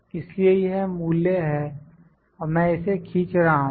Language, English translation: Hindi, So, this is the value and I am dragging this